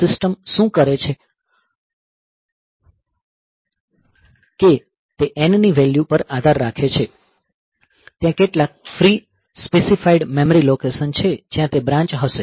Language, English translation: Gujarati, So, what the system does is depending upon the value of n there are some there is free specified memory location where it will branch ok